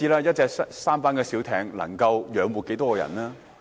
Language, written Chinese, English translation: Cantonese, 一隻舢舨小艇能夠養活多少人呢？, How many people can live off a sampan?